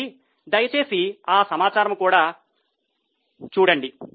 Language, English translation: Telugu, So, please go through that information also